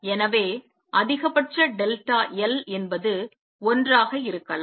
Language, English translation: Tamil, And therefore, maximum delta l can be 1